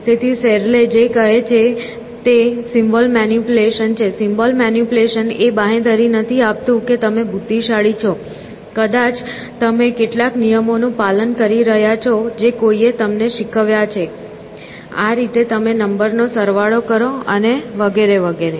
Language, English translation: Gujarati, So, what Searle says is that symbol manipulation, the ability to manipulate symbols is not necessarily a guarantee that you are intelligent; maybe you are following some rules which somebody has taught you; this is how you add numbers and so on and so forth